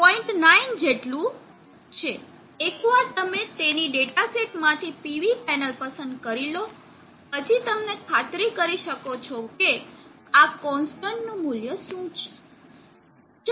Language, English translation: Gujarati, 9 given, once you chosen a PV panel from its data sheet you can as set time what is the value of this constant